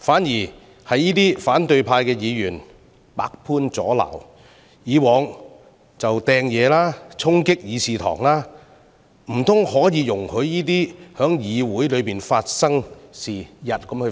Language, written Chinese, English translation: Cantonese, 這些反對派議員卻百般阻撓，過往亦曾擲物和衝擊議事堂，難道可以容許這類行為在議會內發生嗎？, Those Members from the opposition camp however obstructed it in every way such as throwing objects and storming the Chamber in the past . Can we possibly condone such behaviour in the Council?